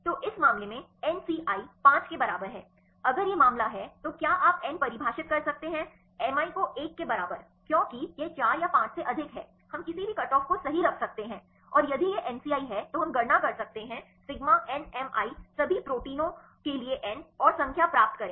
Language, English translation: Hindi, So, in this case nci equal to 5 if this is the case then you can you can define nmi equal to one because it is more than 4 or 5 we can put any cutoff right and if this is a case MCI we can calculate sigma nmi by n for all the protein and get the number